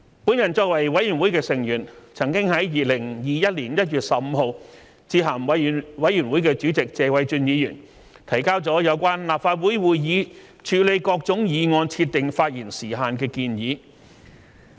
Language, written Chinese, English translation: Cantonese, 我作為委員會的成員，曾在2021年1月15日致函委員會主席謝偉俊議員，提交了有關立法會會議處理各類議案設定發言時限的建議。, Being a Member of the Committee I submitted a letter to Mr Paul TSE Chairman of the Committee on 15 January 2021 presenting my proposal of setting speaking time limits on various kinds of motions handled during the meetings of the Legislative Council